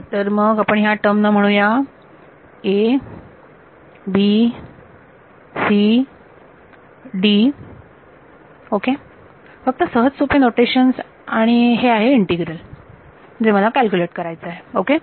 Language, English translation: Marathi, So, let us call this term say a b c d ok; just short hand notation and this is the integral that I want to calculate ok